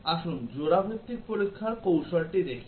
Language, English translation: Bengali, Let us look at the pair wise testing strategy